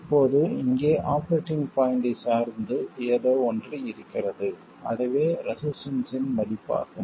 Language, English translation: Tamil, Now, there is something on the operating point here that is the value of the resistance itself